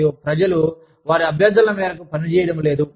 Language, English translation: Telugu, And, people are not acting, on their requests